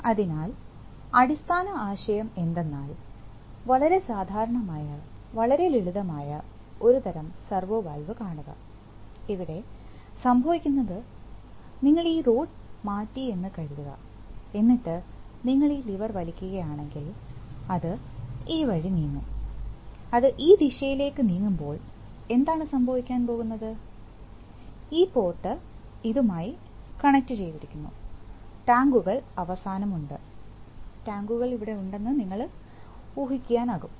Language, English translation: Malayalam, So, what is the, what is the basic idea, see a very typical, very simple type of servo valve, so what is happening here is that suppose you shift this, this rod, okay, so if you pull this lever, it will move this way, as it moves this way, what is going to happen, that this port it will be connected to this, and the tanks are at the end, you can imagine the tanks are here